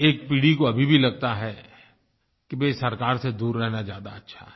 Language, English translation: Hindi, One generation still feels that it is best to keep away from the government